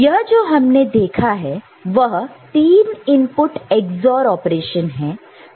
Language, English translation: Hindi, So, that is that is nothing, but a 3 input XOR operation right